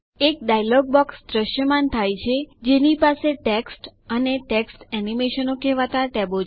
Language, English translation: Gujarati, A dialog box appears which has tabs namely Text and Text Animation